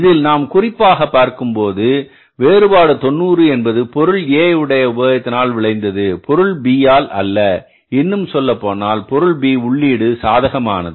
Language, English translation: Tamil, Here the point of reference is that largely this variance of 90 in the material usage has been caused by the input A not by the input B rather input B is favorable